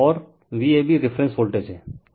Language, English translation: Hindi, And V ab is the reference voltage